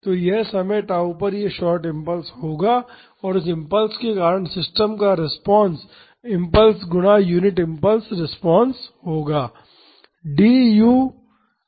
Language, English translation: Hindi, So, this will be this short impulse at time tau and the response of the system due to that impulse will be the impulse times the unit impulse response